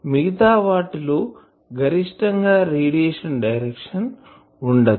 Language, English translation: Telugu, The others are not containing maximum direction of radiation